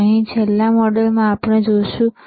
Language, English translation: Gujarati, Here in the last module what we have seen